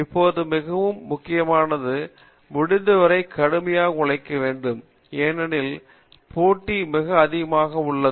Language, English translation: Tamil, Now, work as hard as possible that is very important today because the competition is very high